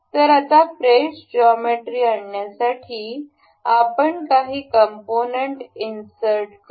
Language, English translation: Marathi, So, now, to import a fresh geometry we will go to insert component